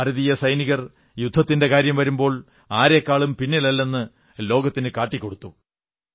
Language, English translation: Malayalam, Indian soldiers showed it to the world that they are second to none if it comes to war